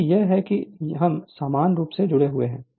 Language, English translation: Hindi, Because it is your we are parallely connected